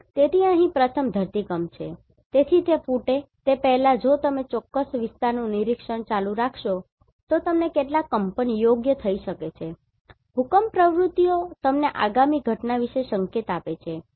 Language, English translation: Gujarati, So, here first one is Seismicity, so before it erupts, you may have some tremors right if you keep on monitoring that particular area, that seismic activities can give you an indication about the upcoming event